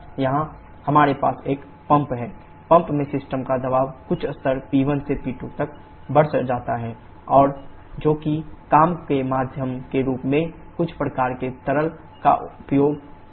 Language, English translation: Hindi, Here we have a pump; in the pump the system pressure is increased from some level P1 to P2 and that is done using some kind of liquid as the working medium